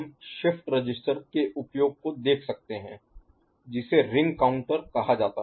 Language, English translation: Hindi, Next, we can see use of shift register what is the called, getting ring counter, ok